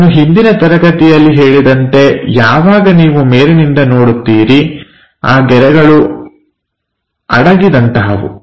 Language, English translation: Kannada, Like I said in thelast class when you are looking from top, these lines are hidden, material is not there